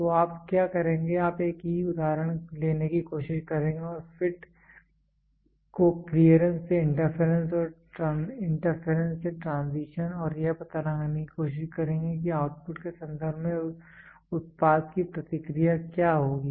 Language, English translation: Hindi, So, what you will do you will try to take the same example and shift the fit from clearance to interference, interference to transition and figure out what will be the response to the product in terms of output